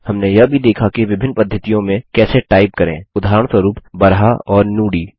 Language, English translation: Hindi, We also saw how to type in different methods, for example, Baraha and Nudi